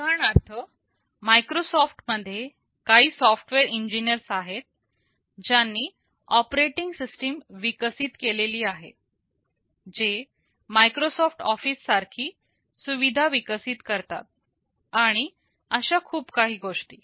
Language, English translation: Marathi, For example, in Microsoft there are some software engineers who developed the operating system, who develop utilities like Microsoft Office, and so on